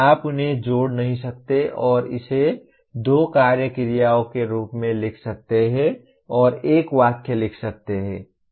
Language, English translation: Hindi, You cannot combine them and write it as use two action verbs and write a single sentence